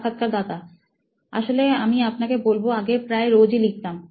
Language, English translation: Bengali, Actually I will tell you, I used to write daily